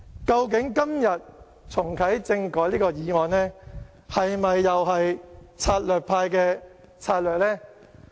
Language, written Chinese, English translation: Cantonese, 究竟今天提出這項重啟政改的議案，是否又是策略派的策略呢？, Is the proposition of this motion on reactivating constitutional reform today another stratagem of the Stratagem Party?